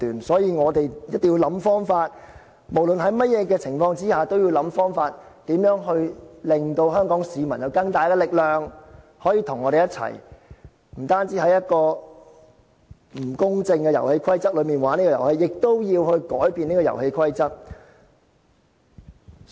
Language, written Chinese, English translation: Cantonese, 所以，我們一定要想方法，無論在甚麼情況下，都要想方法，令香港市民有更大力量可以跟我們一起，不單在一個不公正的遊戲規則下玩這個遊戲，亦要改變這個遊戲規則。, Therefore we must work out some methods . We must come up with some methods no matter what so that Hong Kong people can be given more power to join us―not only in playing this very game with unfair rules but also in changing the unfair rules themselves